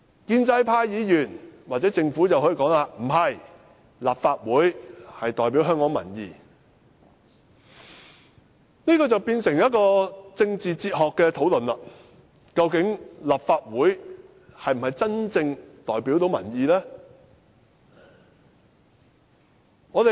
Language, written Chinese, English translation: Cantonese, 建制派議員或政府可以說不是，立法會是代表香港民意，但這樣便變成一項政治哲學討論，即究竟立法會是否真正能夠代表民意呢？, Pro - establishment Members or the Government may disagree and say that the Legislative Council is the representative of Hong Kong people . But this will become a debate on political philosophy . Can the Legislative Council truly represent the views of Hong Kong people?